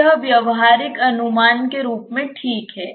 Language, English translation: Hindi, So, it is fine as a practical approximation